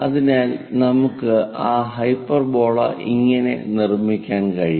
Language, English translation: Malayalam, This is the way we construct a hyperbola